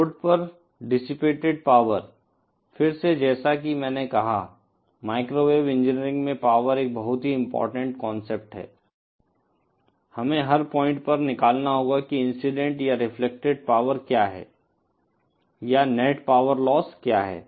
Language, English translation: Hindi, The power dissipated on the load, again as I said, power is a very important concept in microwave engineering, we have to calculate at every point what is the power incident or reflected or what is the net power loss